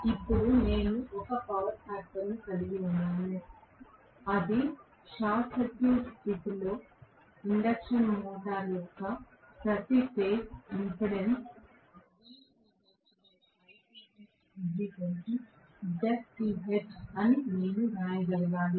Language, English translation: Telugu, Now, that I have a power factor I should be able to write v phase divided by I phase equal to z phase that is the per phase impedance of the induction motor under short circuit condition